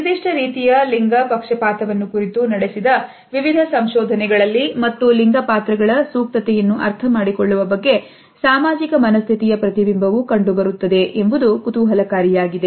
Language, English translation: Kannada, It is also interesting to find that in various researches which have been conducted certain type of gender bias and a reflection of social conditioning about understanding appropriateness of gender roles is also visible